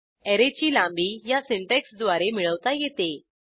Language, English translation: Marathi, All the elements of the Array can be printed using this syntax